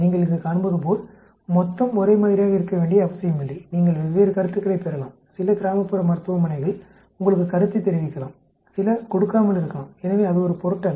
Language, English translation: Tamil, As you can see here you know, total need not be the same you may get different sets of feedback, some rural hospitals may give you feedback, some might not give, so it does not matter